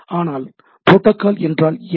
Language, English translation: Tamil, But protocols, what do you mean by protocols